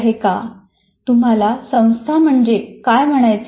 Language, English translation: Marathi, What do you mean by institution